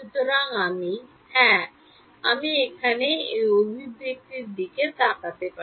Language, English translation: Bengali, So, I will yeah, we can we can look at this expression over here